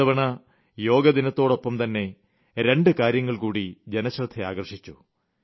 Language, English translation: Malayalam, This time, people all over the world, on Yoga Day, were witness to two special events